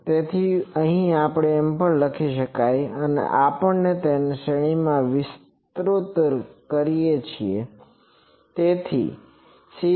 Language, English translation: Gujarati, So, here we also say that we expand these in a series